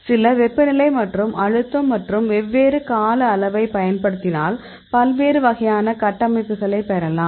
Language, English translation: Tamil, So, you can apply some temperature and pressure and the different time frame; you will get different types of structures